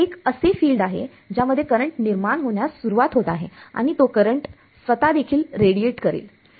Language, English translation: Marathi, There is a field that is coming in inducing a current that current itself is also going to radiate